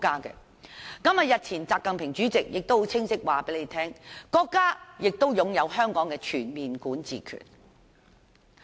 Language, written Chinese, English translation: Cantonese, 國家主席習近平日前亦清晰指出，國家對香港擁有全面管治權。, Recently State President XI Jinping has also made it clear that the State exercises overall jurisdiction over Hong Kong